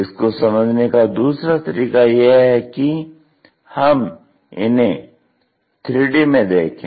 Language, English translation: Hindi, The other way is look at it in three dimensions